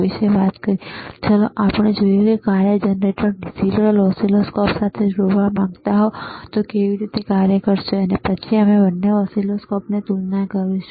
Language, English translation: Gujarati, Right now, let us see, that if you want to connect this person function generator to the digital oscilloscope how it will operate, aall right, and then we will compare both the oscilloscopes